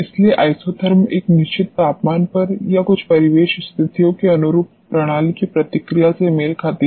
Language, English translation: Hindi, So, isotherm corresponds to the response of the system corresponding to a certain temperature or certain ambience conditions